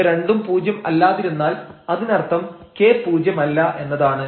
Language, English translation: Malayalam, So, k to 0 means this is 0 and h is non zero